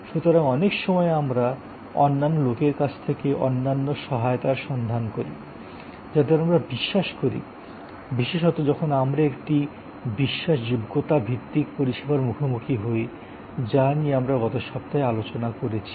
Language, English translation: Bengali, So, many times we actually look for other support from other people, people we trust particularly when we face a credence oriented service which we discussed in last week